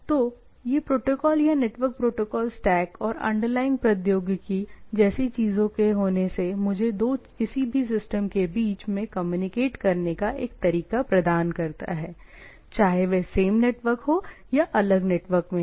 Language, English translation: Hindi, So, these protocols or the network protocol stack and having a underlying technology of the things provides me a way to communicate between two any systems whether it is in my same network or whether it is in the different network, right